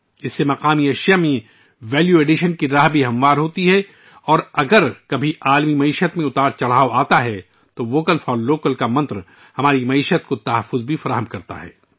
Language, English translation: Urdu, This also paves the way for Value Addition in local products, and if ever, there are ups and downs in the global economy, the mantra of Vocal For Local also protects our economy